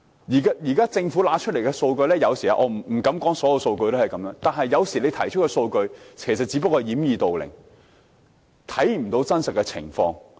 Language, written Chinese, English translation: Cantonese, 現時，政府提供的數據——我不敢說所有數據都是這樣——只不過是掩耳盜鈴，不能反映真實情況。, The data currently provided by the Government―I dare not say all the data are like this―are merely used to muffle ones ears while stealing a bell . The reality cannot be reflected